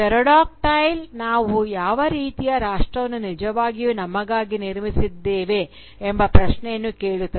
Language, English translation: Kannada, "Pterodactyl" asks us the question that what kind of nation have we really built for ourselves